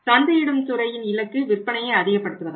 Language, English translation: Tamil, Target of the marketing department is that they shall maximize the sales